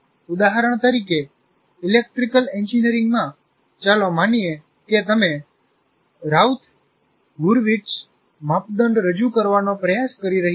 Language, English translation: Gujarati, For example, in electrical engineering, let's say you are trying to present something like Roth Harvard's criteria